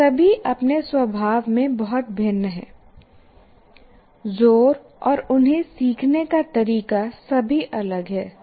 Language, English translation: Hindi, They're all very, very different in their nature, the emphasis and the way to learn, they're all different